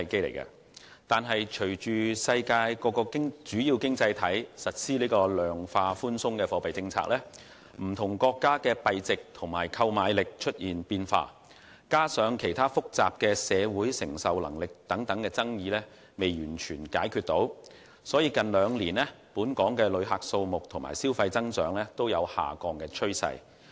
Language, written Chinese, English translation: Cantonese, 然而，隨着世界各地主要經濟體實施量化寬鬆貨幣政策，不同國家的幣值及購買力出現變化，加上針對社會承受能力等其他複雜爭議尚未完全解決，本港近兩年的旅客數目和消費增長均呈下降趨勢。, However as major economies worldwide have implemented the qualitative easing monetary policy the value of currency and purchasing power of various countries have changed coupled with the fact that other complicated disputes in respect of the receiving capacity of the community have yet to be completely resolved the number of visitor arrivals and rate of consumption growth have exhibited a downward trend in the recent two years